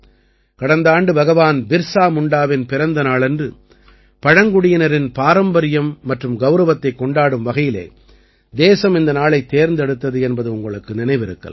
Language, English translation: Tamil, You will remember, the country started this last year to celebrate the tribal heritage and pride on the birth anniversary of Bhagwan Birsa Munda